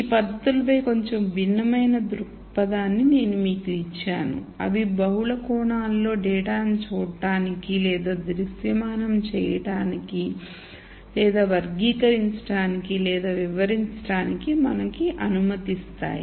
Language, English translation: Telugu, So, I gave you a slightly different perspective on these techniques in terms of them allowing us to see or visualize or characterize or explained data in multiple dimensions